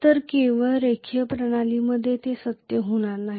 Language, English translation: Marathi, So only in linear system this is going to be true